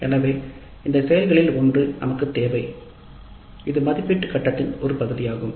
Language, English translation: Tamil, So, one of these actions we need to do and that's part of the evaluate phase